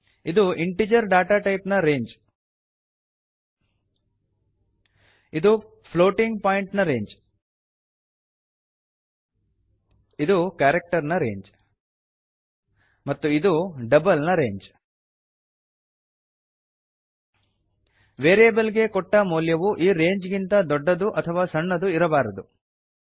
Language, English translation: Kannada, Now we will see the range of data types Integer data type has a range of this Floating point has a range of this Character has a range of this And Double has a range of this The values stored in the variable must not be greater or less than this range